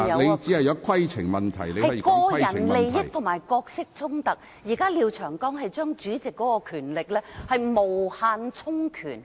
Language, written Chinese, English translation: Cantonese, 現時廖長江議員提出的擬議決議案，是將主席的權力無限充權。, The proposed resolutions to be moved by Mr Martin LIAO seek to provide the President with unlimited power